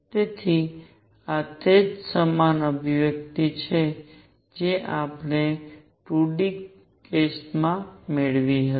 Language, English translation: Gujarati, So, this is exactly the same expression that we had obtained in 2 d case